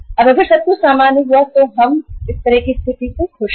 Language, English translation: Hindi, Now if everything goes normal then we are means happy with this kind of the situation